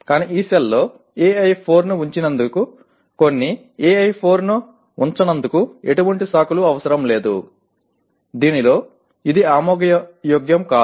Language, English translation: Telugu, But there is no excuse for not putting AI4, some of the AI4 in this cell; in this, this is not acceptable